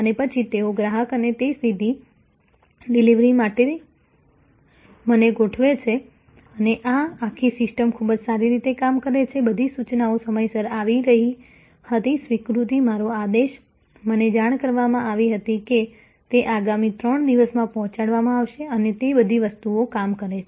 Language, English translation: Gujarati, And then, they arrange for that direct delivery to the customer to me and this whole system worked quite well, all the intimations were coming to be on time, acknowledgment, my ordered, informing me that it will be delivered within the next 3 days and so on, all those things worked